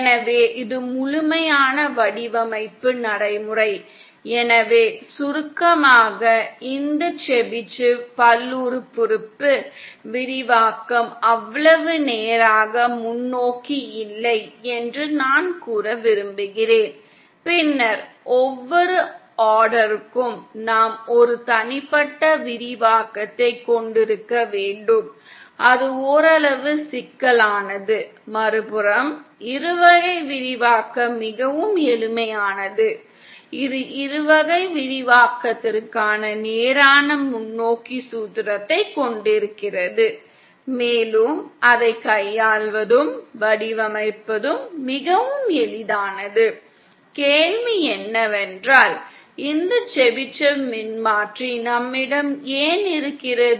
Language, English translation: Tamil, So then this is the complete design procedure, ah so in summary I want to say that for this Chebyshev polynomial the expansion is not so straight forward, then for each order we have to have an individual expansion and it is somewhat complicated, the binomial expansion on the other hand is much simpler, it is we have a straight forward formula for the binomial expansion and it is much easier to handle and to design of course, the question then is why do we have this Chebyshev transformer in the first place